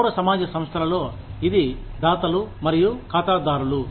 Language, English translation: Telugu, In civil society organizations, it is donors and clients